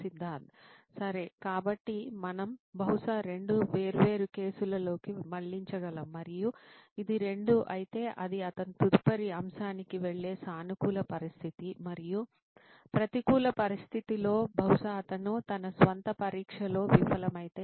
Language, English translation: Telugu, Right, so then we can probably diverge into two different case and what so this would be 2 then it is a positive situation he would move on to next topic and in a negative situation in case he fails his own test he would probably